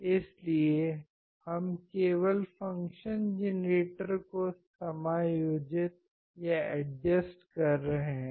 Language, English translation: Hindi, So, we are just adjusting the function generator